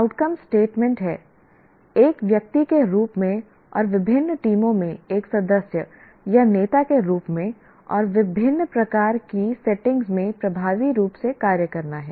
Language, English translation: Hindi, The outcome statement is function effectively as an individual and as a member or leader in diverse teams and in a wide variety of settings